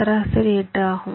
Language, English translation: Tamil, so what is the average average is eight